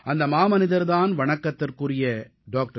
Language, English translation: Tamil, This great man was none other than our revered Dr